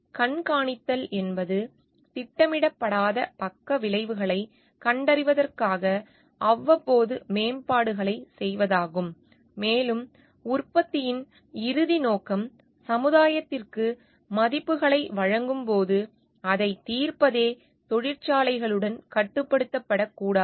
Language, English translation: Tamil, To monitor is to is about making periodic improvements to identify the unintended side effects and it should not be restricted with the factories as ultimate purpose of the product is to solve when it delivers values to the society at large